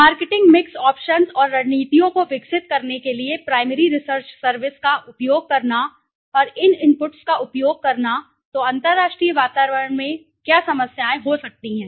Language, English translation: Hindi, Carry out primary research service and using those inputs to the, for the developing the marketing mix options and strategies, so what problems can occur in the international environment